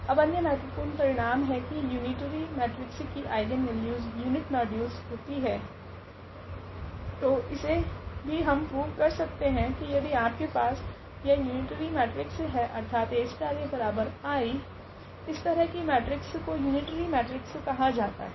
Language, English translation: Hindi, Now, another important result that the eigenvalues of unitary matrix are of unit modulus, so this also we can prove in general that if you have this unitary matrix; that means, this A star A is equal to is equal to identity matrix, so such matrices are called the unitary matrix